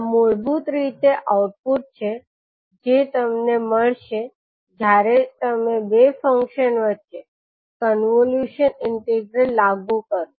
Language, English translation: Gujarati, So this is the basically the output which you will get when you apply convolution integral between two functions